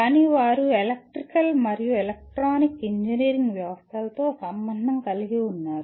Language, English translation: Telugu, But they are involved with electrical and electronic engineering systems